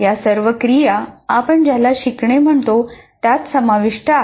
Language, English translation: Marathi, So all these activities are involved in what you call learning